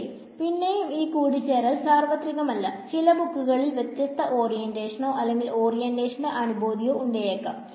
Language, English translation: Malayalam, So, again this convention may not be universal some books may have different orientation or sense of orientation